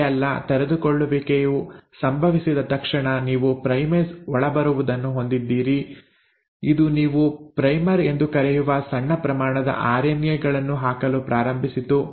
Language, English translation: Kannada, Not only that, as soon as the uncoiling happened you had the primase come in; it started putting in small stretches of RNA which you call as the primer